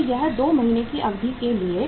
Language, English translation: Hindi, So that is for a period of 2 months